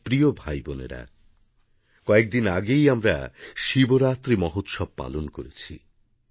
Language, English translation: Bengali, My dear brothers and sisters, we just celebrated the festival of Shivaratri